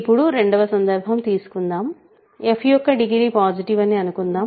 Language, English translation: Telugu, So, suppose now second case, suppose degree f is positive